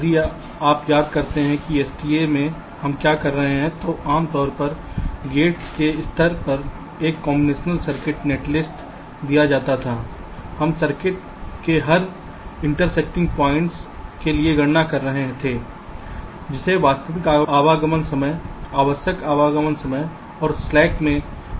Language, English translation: Hindi, so if you recall in sta what we were doing, given a combinational circuit netlist, typically at the level of gates, we were calculating for every interesting points of the circuit something called actual arrival times, required arrival times and the difference that is the slack